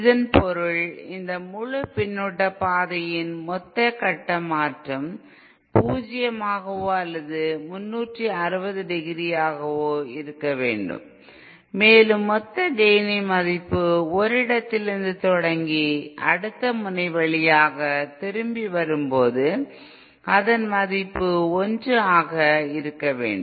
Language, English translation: Tamil, It means that the total phase change over this entire feedback path should be zero or 360 degree and the total gain starting from this point all the way to through the other end then back should be 1